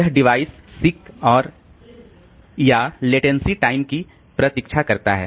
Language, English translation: Hindi, It wait for the device seek and or latency time